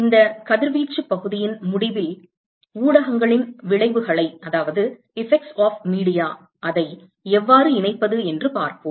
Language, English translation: Tamil, We will see that towards the end of this radiation section how to incorporate the effects of media